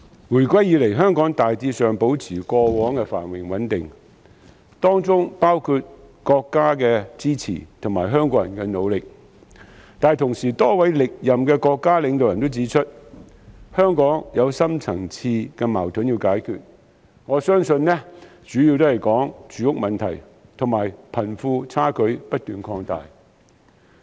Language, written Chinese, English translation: Cantonese, 回歸以來，香港大致上保持過往的繁榮穩定，當中有賴國家的支持和香港人的努力，但與此同時，多位歷任國家領導人均指出，香港有深層次矛盾需要解決，相信所指的主要是住屋問題和貧富差距不斷擴大。, Since reunification Hong Kong has generally been able to maintain its prosperity and stability thanks largely to both the support of our country and the efforts of Hong Kong people . However in the meantime as pointed out by a number of national leaders of both past and present terms there are deep - seated conflicts in the Hong Kong community that must be resolved and I reckon that they were referring mainly to the housing problem and the widening disparity between the rich and the poor